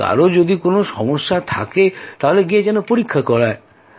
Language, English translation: Bengali, If anyone has a health scare, go and get it tested